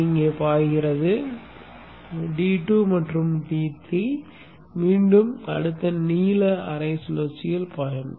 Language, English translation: Tamil, D2 and D3 it flows here and D2 and D3 it will again flow in the next blue half cycle